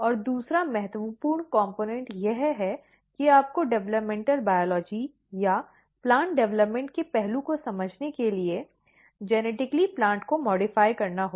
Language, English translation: Hindi, And second important component is you have to genetically modify the plant to understand the developmental biology or the aspect of plant development